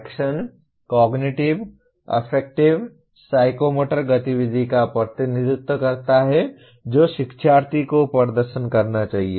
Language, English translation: Hindi, Action represents Cognitive, Affective, Psychomotor activity the learner should perform